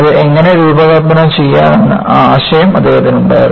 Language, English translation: Malayalam, Only, he had the idea, how to design it